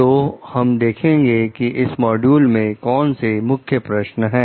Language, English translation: Hindi, So, let us see what are the key question in this module